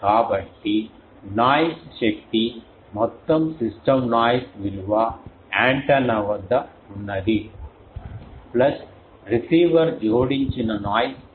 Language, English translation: Telugu, So, noise power total system noise power will be whatever antenna has brought up to here, plus the noise added by the receiver